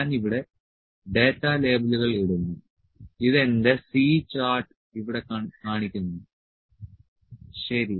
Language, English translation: Malayalam, I will just put data labels here, so it is showing my C chart here, ok